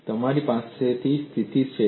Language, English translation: Gujarati, And what is the condition that you have